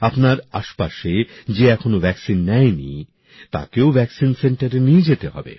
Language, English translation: Bengali, Those around you who have not got vaccinated also have to be taken to the vaccine center